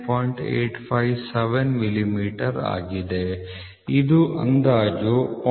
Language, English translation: Kannada, 857 millimeter which is approximately 0